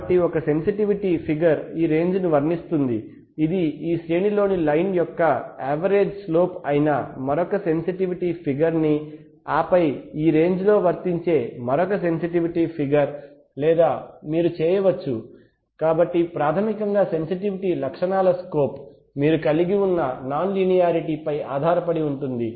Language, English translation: Telugu, So one sensitivity figure will apply this range the other sensitivity figure which is a average slope of the line in this range and then another sensitivity figure which will apply in this range or you can, so basically sensitivity is the slope of the characteristics, so depending on the non linearity you have you can use multiple slopes on multiple ranges sometimes instruments do that